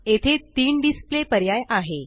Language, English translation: Marathi, There three display options here